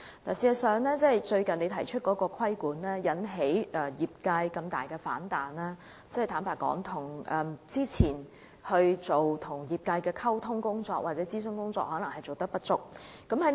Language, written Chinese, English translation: Cantonese, 事實上，局長最近提出的規管引起業界如此大的反彈，坦白說，這可能是之前與業界的溝通或諮詢工作不足所致。, If I could be frank with the Secretary insufficient prior communication or consultation with the industry could actually be a reason why the regulatory framework recently proposed by the Secretary has met with such a strong response from the industry